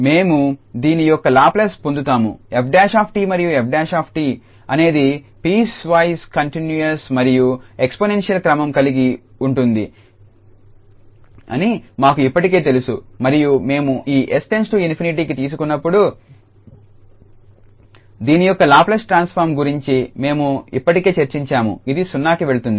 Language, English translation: Telugu, We will get Laplace of this f prime t we know already that f prime t is piecewise continuous and of exponential order and when we take this s approaches to infinity, we already discussed this before that the Laplace transform will go to 0